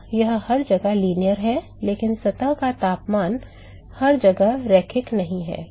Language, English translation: Hindi, So, it is linear everywhere, but the surface temperature is not linear everywhere